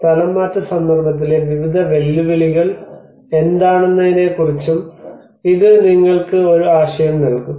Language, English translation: Malayalam, So it will give you an idea of what are the various challenges in the relocation context